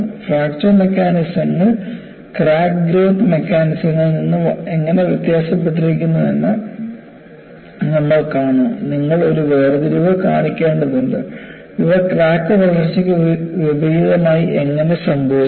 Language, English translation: Malayalam, And we will see, how the Fracture Mechanisms are different from crack growth mechanisms, you will have to make a distinction, how these happen in contrast to crack growth